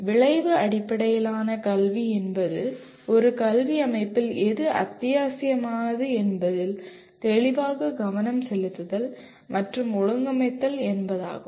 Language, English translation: Tamil, Outcome Based Education means clearly focusing and organizing everything in an educational system around what is “essential”